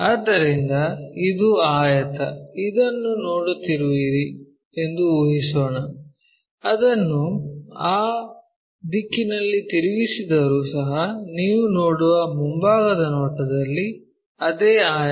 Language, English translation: Kannada, So, this is the rectangle let us assume that you are seeing this, even if I rotate it in that direction same rectangle at the front view you see